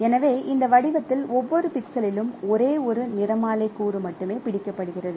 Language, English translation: Tamil, So, this in this pattern at every pixel only one spectral component is captured